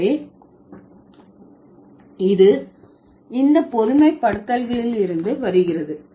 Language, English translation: Tamil, So, this comes from the generalizations